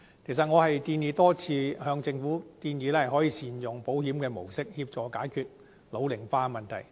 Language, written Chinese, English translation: Cantonese, 我多次建議政府善用保險模式，協助解決人口老齡化的問題。, I have time and again called on the Government to make better use of the insurance - based model to help address the problem of population ageing